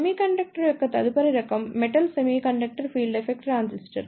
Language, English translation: Telugu, The next type of semiconductor is Metal Semiconductor Field Effect Transistor